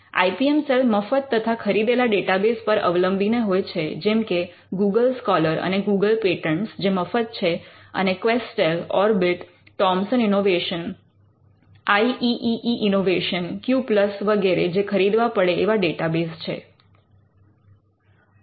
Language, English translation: Gujarati, Now the IPM cell relies on free and paid data bases like Google scholar and Google patents which are free and the paid data bases like QUESTEL Orbit, Thomson innovation, IEEE innovation Q plus etcetera